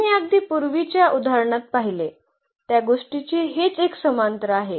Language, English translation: Marathi, So, exactly it is a parallel to what we have just seen in previous examples